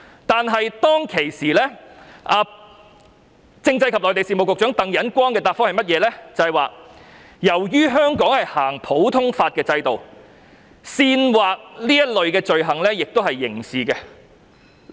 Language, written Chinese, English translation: Cantonese, 但是，政制及內地事務局常任秘書長鄧忍光當時的答覆是，由於香港實行普通法制度，煽惑這類罪行也屬刑事罪行。, However according to the reply of the Permanent Secretary for Constitutional and Mainland Affairs Roy TANG it is also a criminal offence to incite a crime of this kind under the common law system of Hong Kong